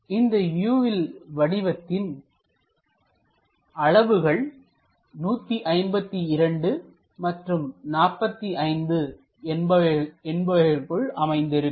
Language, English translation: Tamil, So, this entire object will be in between this 152 dimensions and 45 dimensions